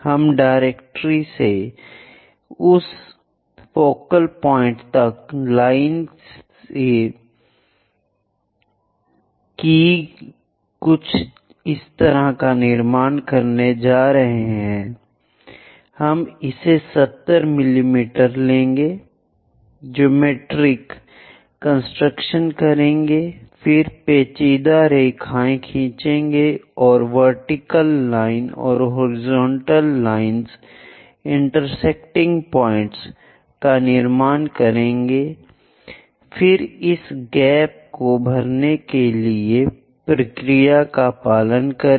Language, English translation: Hindi, So, using this directrix focus method first of all we will be drawing this directrix, then we will be going to construct something like a line C from directrix to that focal point we will locate it something like 70 mm, do geometric construction then draw tangent lines and vertical lines horizontal lines construct intersecting points, then follow your procedure to fill this gap like an ellipse